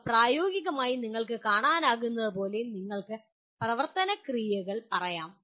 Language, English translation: Malayalam, As you can see these are practically you can say action verbs